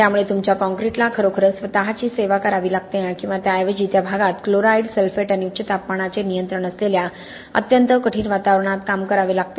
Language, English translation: Marathi, So your concrete is really having to service itself or rather having to perform in a very difficult environment where control of chloride, sulphate and the high temperatures in that prevailing at that regions